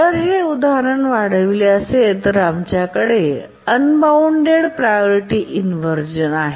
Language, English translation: Marathi, If we extend this example, we come to the example of an unbounded priority inversion